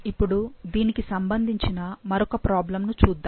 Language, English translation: Telugu, Now let's look into the second problem